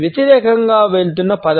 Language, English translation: Telugu, The word going against